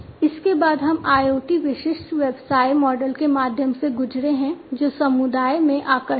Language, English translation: Hindi, Thereafter, we have gone through the IoT specific business models that are attractive in the community